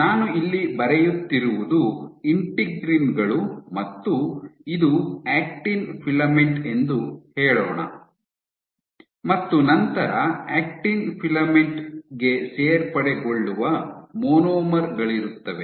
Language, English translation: Kannada, What I am drawing here these are your integrins and let us say this is your Actin filament and you have monomers which are getting added to the Actin filament